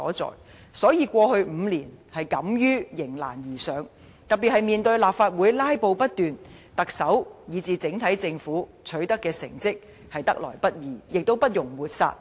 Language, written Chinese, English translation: Cantonese, 所以，現屆政府在過去5年敢於迎難而上，特別面對立法會"拉布"不斷，特首和整體政府取得的成績，是得來不易，亦不容抹煞的。, Therefore the Government had the courage to go against the odds over the past five years especially amid endless filibusters in the Legislative Council . It is totally not easy for the Chief Executive and the overall Government to have achieved such a performance